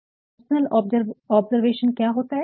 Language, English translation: Hindi, So, what is this personal observation